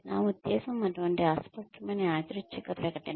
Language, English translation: Telugu, I mean that is such a vague random statement